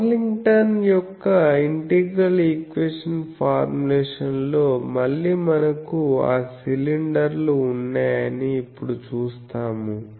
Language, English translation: Telugu, So, we will see now that that Pocklington’s integral equation formulation, again we have that cylinders